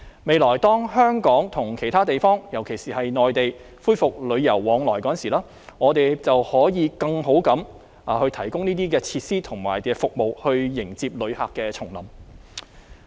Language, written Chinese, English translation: Cantonese, 未來當香港跟其他地方——尤其是內地——恢復旅遊往來的時候，我們便可以更好地提供這些設施和服務來迎接旅客重臨。, In future when tourism ties are restored between Hong Kong and other places―in particular the Mainland we will be able to make use of these facilities and services to greet the coming back of visitors